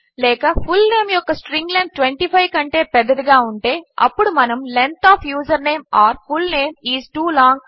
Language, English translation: Telugu, Or the string length of fullname is greater than 25, then we echo Length of username or fullname is too long.